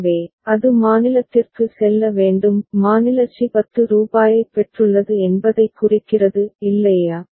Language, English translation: Tamil, So, it has to go to state c; state c signifies rupees 10 has been received is not it